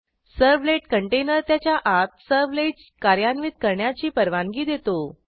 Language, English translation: Marathi, The servlet container allows the servlets to execute inside it